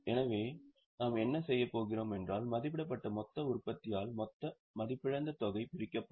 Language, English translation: Tamil, So, what we do is total depreciable amount will divide it by the estimated total production